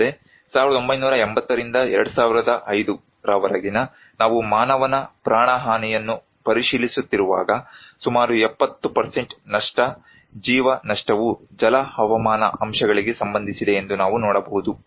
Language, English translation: Kannada, Also, when we are looking into the loss of human life from 1980 to 2005, we can see that nearly 70% of loss of life are related to hydro meteorological factors